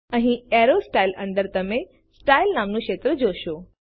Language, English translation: Gujarati, Here, under Arrow Styles you will see the field named Style